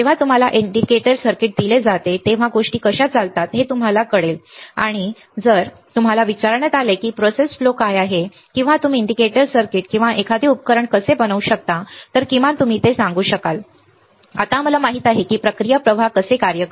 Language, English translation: Marathi, How you will know how the things works when you are given an indicator circuit and if you are asked that what are the process flow or how you can fabricate a indicator circuit or an indicator circuit or a device you will be able to at least tell that, now we know how the process flow works